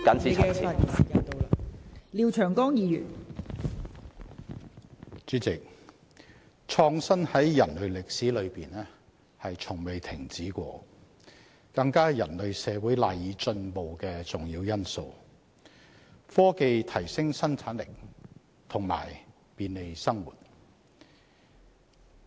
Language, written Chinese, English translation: Cantonese, 代理主席，創新在人類歷史中從未停止，更是人類社會賴以進步的重要因素，科技提升生產力及便利生活。, Deputy President innovation has continued without pause throughout human history and is an important element on which the progress of human society relies . Technology boosts productivity and brings convenience to our life